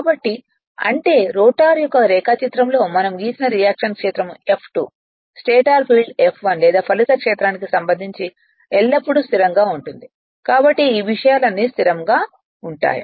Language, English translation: Telugu, So; that means, the your reaction field is F2 we have drawn right in the diagram of the rotor is always stationery with respect to the stator field F1 or the resultant field Fr right so all these things are remain stationary